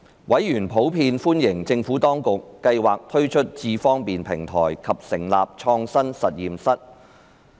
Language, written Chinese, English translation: Cantonese, 委員普遍歡迎政府當局計劃推出"智方便"平台及成立創新實驗室。, Members generally welcomed the Administrations plan of launching the iAM Smart platform and establishing the Smart Lab